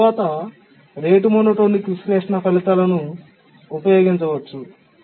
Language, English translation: Telugu, And then we can use the rate monotonic analysis results